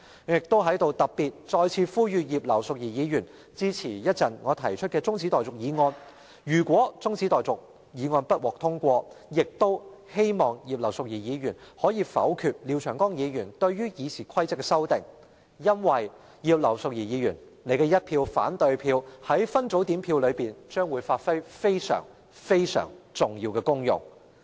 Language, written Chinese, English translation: Cantonese, 我在此特別再次呼籲葉劉淑儀議員稍後支持我提出的中止待續議案，如果中止待續議案不獲通過，亦希望葉劉淑儀議員能否決廖長江議員對《議事規則》的修訂，因為葉劉淑儀議員的一票反對票在分組點票上將會發揮非常、非常重要的功用。, Here once again I specifically call on Mrs Regina IP to support the motion of adjournment moved by me later on . If this motion of adjournment is not passed I still hope that Mrs Regina IP can vote against the amendments to RoP proposed by Mr Martin LIAO because Mrs Regina IPs opposing vote will serve a very very important purpose in the division